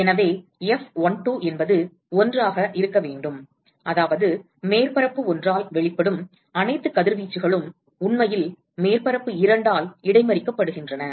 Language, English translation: Tamil, So, therefore, F12 should be 1, which means all the radiation emitted by surface one is actually intercepted by surface two